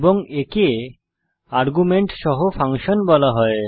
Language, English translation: Bengali, And this is called as functions with arguments